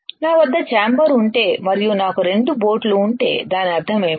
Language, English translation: Telugu, What does that mean that if I have a chamber and if I have 2 boats right